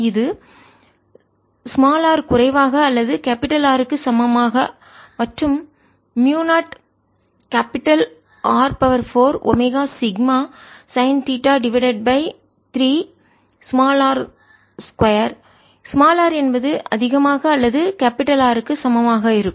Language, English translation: Tamil, divided by three, this is for r less than equal to capital r, and mu naught r to the power four, omega sigma sine theta, divided by three, r square for r greater than equal to r